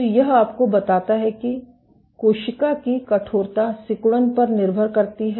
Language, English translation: Hindi, So, this tells you that cell stiffness depends on contractibility